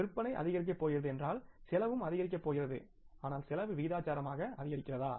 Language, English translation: Tamil, If the sales are going to increase, cost is also going to increase but is the cost in proportionately